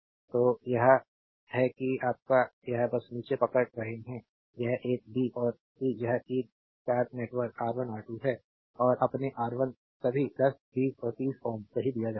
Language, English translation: Hindi, So, this is your a just hold down this is a b and c right this is T network the star network R 1, R 2 and your R 3 all are given 10, 20 and 30 ohm right